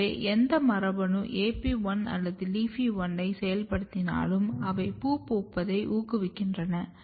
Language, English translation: Tamil, So, whatever gene can activate AP1 or LEAFY1 they will basically promote the flowering